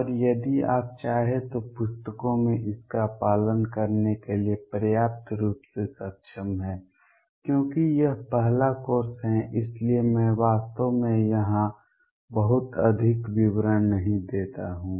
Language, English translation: Hindi, And enable you enough to follow this in books if you wish too, because this is the first course so I do not really give a many details here